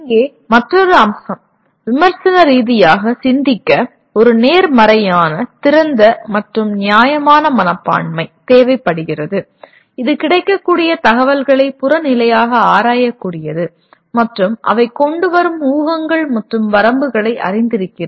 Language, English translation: Tamil, And here another aspect, thinking critically requires a positive open and fair mindset that is able to objectively examine the available information and is aware of the laid assumptions and limitations brought about by them